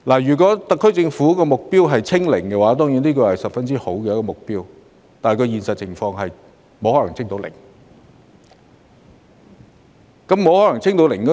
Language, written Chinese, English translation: Cantonese, 如果特區政府的目標是"清零"——當然，這是個非常好的目標，只是在現實環境中，"清零"是不可能的事。, If the SAR Governments goal is to achieve zero infection―of course such a goal is really well justified and yet this will only mean a mission impossible in reality